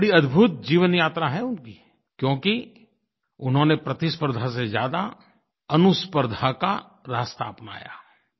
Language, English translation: Hindi, What a wonderful journey of life he has had, only because he followed the route of competing with himself rather than competing with others